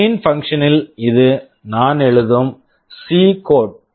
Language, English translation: Tamil, In the main function this is a C code I am writing